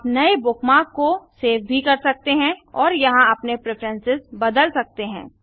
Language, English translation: Hindi, You can also save new bookmark and change your preferences here